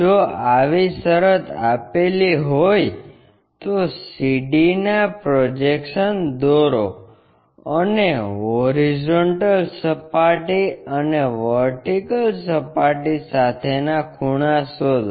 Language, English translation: Gujarati, If that is the case draw projections of CD and find angles with horizontal plane and vertical plane